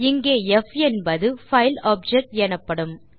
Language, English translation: Tamil, Here f is called a file object